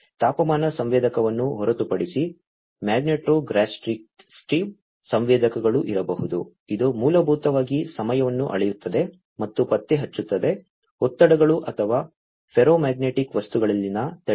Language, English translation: Kannada, Apart from temperature sensor, there could be magnetostrictive sensors, which basically measure and detect the time varying stresses or, strains in ferromagnetic materials